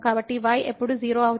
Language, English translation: Telugu, So, this when will be 0